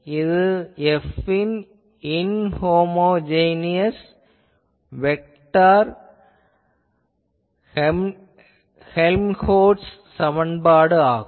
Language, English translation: Tamil, This was the Helmholtz equation inhomogeneous vector Helmholtz equation earlier